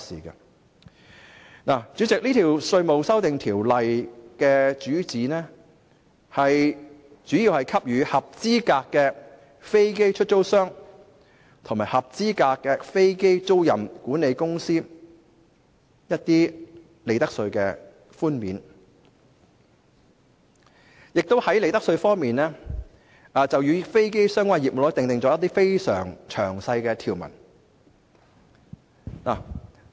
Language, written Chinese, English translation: Cantonese, 代理主席，《條例草案》旨在給予合資格飛機出租商及合資格飛機租賃管理商一些利得稅寬免，並在利得稅方面，就與飛機相關的業務，訂定一些非常詳細的條文。, Deputy President the Bill seeks to give profits tax concessions to qualifying aircraft lessors and qualifying aircraft leasing managers and make detailed profits tax provisions for aircraft related businesses